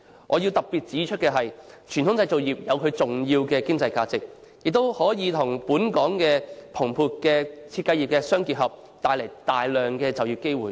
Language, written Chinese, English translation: Cantonese, 我必須特別指出，傳統製造業有其重要的經濟價值，亦可以與本港日漸蓬勃的設計業互相結合，帶來大量就業機會。, I must highlight that the traditional manufacturing industries have important economic values which can be integrated with the flourishing design industry in Hong Kong to create a lot of job opportunities